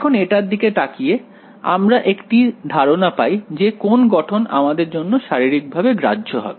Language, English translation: Bengali, Now, looking at this; they you get an intuition of which form to which form is physically acceptable